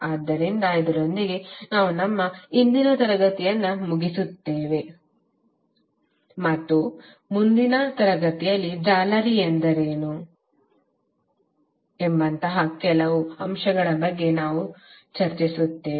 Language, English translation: Kannada, So with this we close our today’s session and in the next session we will discuss more about the other certain aspects like what is mesh